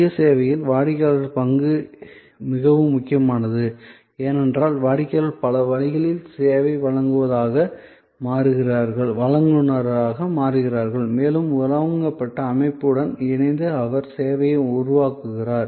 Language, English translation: Tamil, So, obviously in self service, the role of the customer is very critical, because customer becomes in many ways the service provider and he creates or she creates the service in conjunction with the system provided